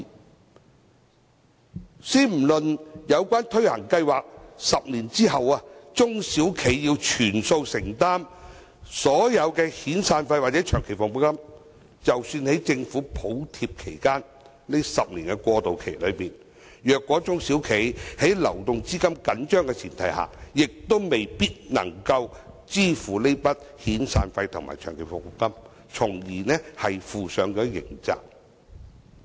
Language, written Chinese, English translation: Cantonese, 莫說在推行有關計劃的10年後，中小企要全數承擔所有遣散費或長期服務金，即使在政府補貼的10年過渡期內，如果中小企的流動資金緊張，亦未必能支付這筆遣散費和長期服務金，從而要負上刑責。, Leaving aside the need for SMEs to make full severance payments or long service payments 10 years after the implementation of such a scheme during the 10 - year transitional period when Governments subsidy is available SMEs may still be unable to make such payments if they have cash flow shortage subjecting them to criminal liability